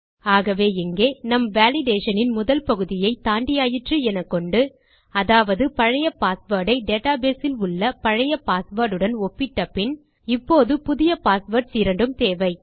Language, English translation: Tamil, So here, assuming weve got through the first stage of our validation, we checked the old password with to old password in the database now we need to our two new passwords